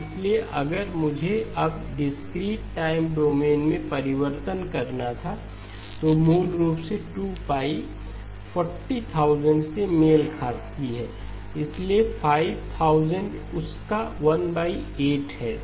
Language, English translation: Hindi, So if I were to now translate this into the discrete time domain, basically 2pi corresponds to 40,000, so 5000 is 1 by 8 of that